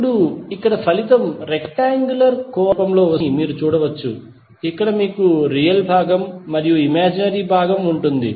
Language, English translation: Telugu, Now, here you can see that the result would come in the form of rectangular coordinate where you will have real component as well as imaginary component